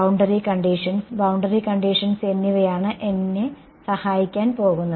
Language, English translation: Malayalam, Boundary conditions, boundary conditions are what are going to help me